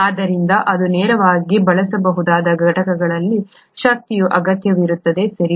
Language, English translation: Kannada, Therefore it requires energy in units that it can use directly, right